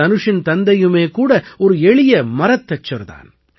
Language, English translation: Tamil, Dhanush's father is a carpenter in Chennai